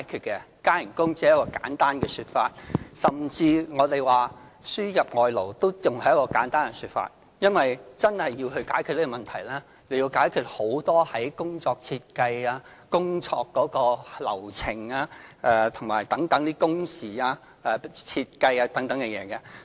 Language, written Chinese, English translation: Cantonese, 加工資只是一個簡單的說法，甚至輸入外勞也只是一個簡單的說法，因為真的要解決這問題，需要解決很多工作設計、工作流程、工時設計等事宜。, Offering a pay rise is just a simple idea and so is importing foreign labor . In order to really solve this problem issues relating to work design work flow and the design of working hours have to be resolved as well